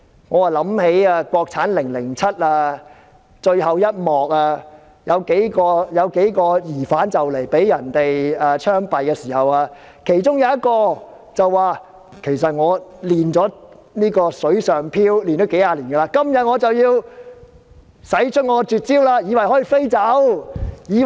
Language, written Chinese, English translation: Cantonese, 我又想起電影"國產凌凌漆"最後一幕，有幾名疑犯即將要槍斃時，其中一名疑犯說：其實我已練成"水上飄"幾十年，今天我便要使出絕招。, This reminds me of the last scene in the movie From Beijing with Love in which a few prisoners are about to be shot . One of them says that he has attained the skill of gliding on water after years of practice and he is about to use that skill